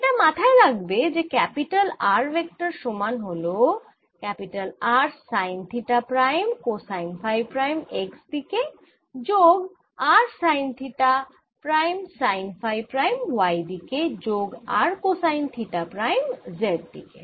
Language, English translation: Bengali, keep in mind that this vector capital r that i have written right, vector r, is nothing, but r is fixed sine theta prime, cosine phi prime in x direction, plus r sine theta prime, sine phi prime in y direction, plus r cosine theta prime in z direction